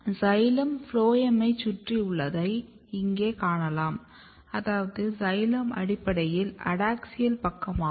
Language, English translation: Tamil, So, you can see here xylem is surrounding the phloem which means that xylem is basically adaxial side